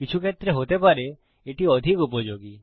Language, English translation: Bengali, It may be more useful in some cases